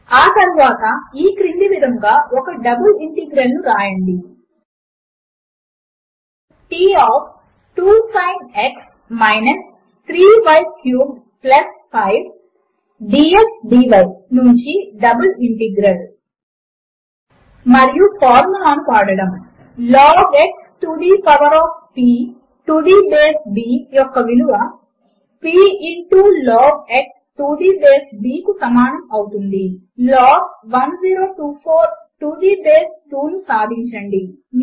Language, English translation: Telugu, Next, write a double integral as follows: Double integral from T of { 2 Sin x – 3 y cubed + 5 } dx dy And using the formula: log x to the power of p to the base b is equal to p into log x to the base b solve log 1024 to the base 2 Format your formulae